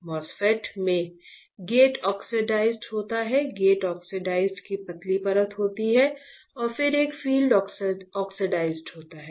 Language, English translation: Hindi, MOSFET in MOSFET there is a gate oxide right, thin layer of gate oxide and then there is a field oxide